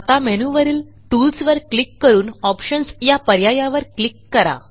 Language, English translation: Marathi, We will click on Tools in the main menu and Options sub option